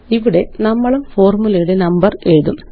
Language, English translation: Malayalam, Here we will also number the formulae